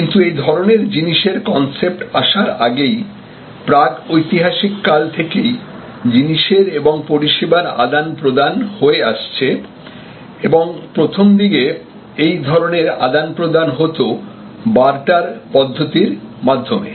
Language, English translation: Bengali, But, long before the concept of money emerged, exchange of goods and services existed from prehistoric times and initially; obviously, these exchange is happened on the basis of barter